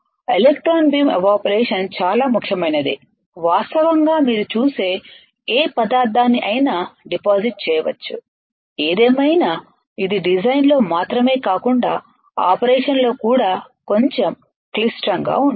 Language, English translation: Telugu, Electron beam evaporation is extremely versatile virtually any material you see virtually any material can be deposited; however, it is little bit complex not only in design, but also in operation alright